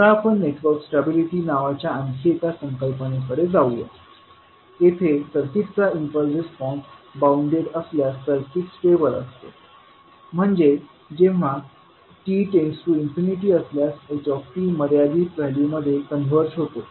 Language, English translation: Marathi, Now let us move on to another concept called network stability, here the circuit is stable if its impulse response is bounded, means the h t converses to the finite value when t tends to infinity and if it is unstable if s t grows without bounds s t tends to infinity